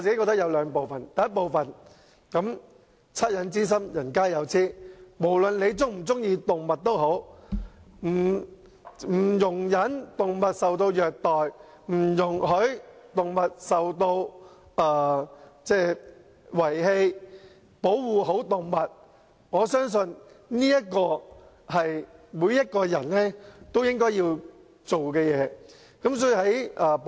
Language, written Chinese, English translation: Cantonese, 第一，惻隱之心，人皆有之，無論人們是否喜愛動物，我相信，不容忍動物受到虐待、不容許動物受到遺棄，以至好好保護動物，是每一個人都應做的事。, First the feeling of commiseration belongs to all men; no matter whether a person is fond of animals I believe everyone should not tolerate animal cruelty or allow animal abandonment and should properly protect animals